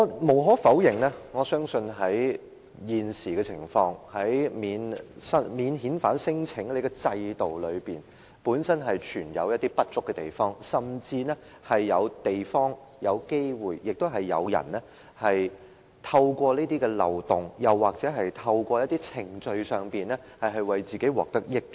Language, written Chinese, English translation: Cantonese, 無可否認，我相信現時的情況，免遣返聲請的制度本身存有一些不足之處，甚至是有地方或有機會被人透過這些漏洞，又或是透過一些程序而令自己獲得益處。, It is undeniable that under the existing situation there are some inadequacies in the mechanism for non - refoulement claims and there are even some areas or chances for people to take advantage of the loopholes or procedures for personal gain